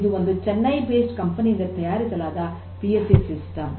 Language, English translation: Kannada, It is actually a Chennai based company PLC systems private limited